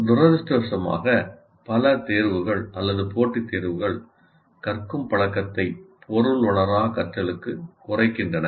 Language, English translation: Tamil, And unfortunately, many of the examinations or competitive exams reduce learning to rote learning